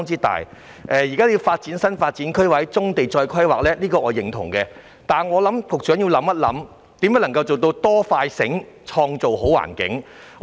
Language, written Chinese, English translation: Cantonese, 對於發展新發展區或就棕地重新進行規劃，我是認同的，但我認為局長要思考如何可以"多、快、醒，創造好環境"。, While I agree to the idea of developing new development areas or drawing up fresh planning for brownfield sites I think the Secretary must consider how to create good conditions with greater efforts and speed in a smarter way